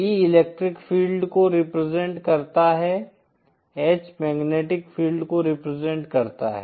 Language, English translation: Hindi, E represents the electric field, H represents the magnetic field